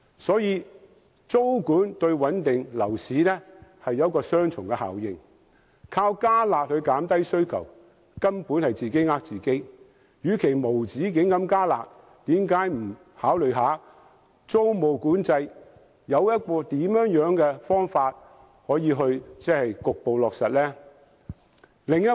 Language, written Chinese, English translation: Cantonese, 所以，租管對穩定樓市有雙重效應，只靠"加辣"減低需求根本是自欺欺人，與其無止境地"加辣"，政府何不考慮應怎樣妥善地局部落實租管？, Hence tenancy control can have dual effects of stabilizing the property market . Basically to suppress demand by only relying on the curb measures is a make - believe policy . Instead of introducing harsher and harsher curb measures indefinitely why cant the Government consider ways to refine the implementation of tenancy control measures?